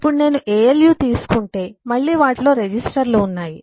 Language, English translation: Telugu, now if I take alu, then again I have registers in them